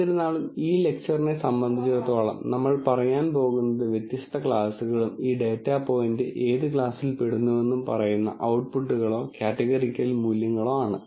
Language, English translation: Malayalam, Nonetheless as far as this lecture is concerned, we are going to say the outputs or categorical values, which basically says different classes and what class does this data point belong to